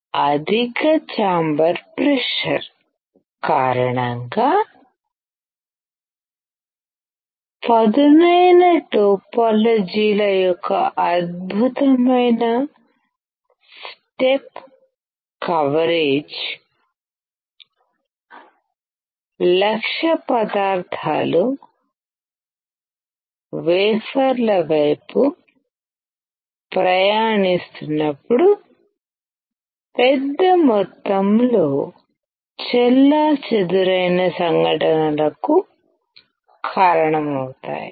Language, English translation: Telugu, Excellent step coverage of the sharp topologies because of high chamber pressure causing a large amount of scattering events as target materials travels towards the wafers